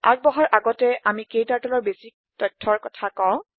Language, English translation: Assamese, Before proceeding, we will discuss some basic information about KTurtle